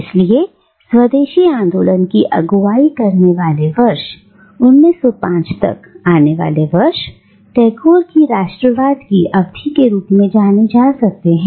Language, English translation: Hindi, Now, the years leading up to the Swadeshi movement, the years leading up to 1905, can be regarded as Tagore’s pro nationalism period